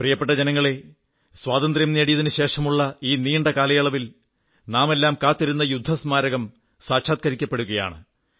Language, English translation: Malayalam, My dear countrymen, the rather long wait after Independence for a War Memorial is about to be over